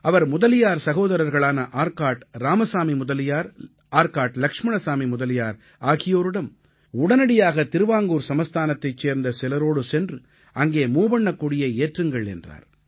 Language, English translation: Tamil, He urged the Mudaliar brothers, Arcot Ramaswamy Mudaliar and Arcot Laxman Swamy Mudaliar to immediately undertake a mission with people of Travancore to Lakshadweep and take the lead in unfurling the Tricolour there